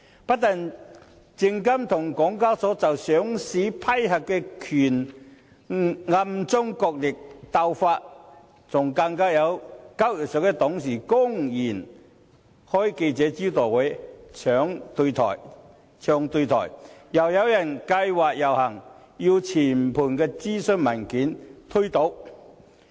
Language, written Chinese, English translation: Cantonese, 不單證監會和港交所就上市批核權暗中角力鬥法，更有交易所董事公然召開記者招待會"唱對台"；又有人計劃遊行，要全盤推倒諮詢文件。, There was a secret tug - of - war between SFC and SEHK on the power to vet and approve listing applications and not only this some directors of SEHK even held a press conference to openly express a different stance . Moreover some people also plan to stage a march in a bid to totally gainsaying the consultation paper